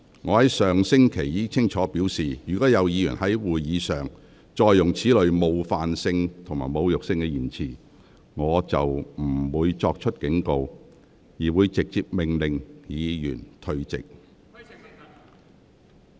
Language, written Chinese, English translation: Cantonese, 我上星期已清楚表示，若有議員再次在會議上使用此類具冒犯性或侮辱性的言詞，我將不會再作警告，而會直接命令有關議員退席。, As I clearly indicated last week should any Member use such offensive or insulting expressions at Council meetings again I would directly order the Member to withdraw from the Council immediately without any further warning